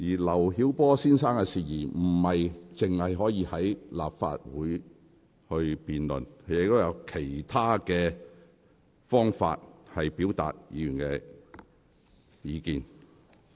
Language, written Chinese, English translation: Cantonese, 劉曉波先生的事宜並非只限在立法會會議上辯論，議員亦可透過其他途徑表達意見。, The Legislative Council meeting is not the only platform for the debate on matters relating to Mr LIU Xiaobo . Members may also seek other avenues to voice their views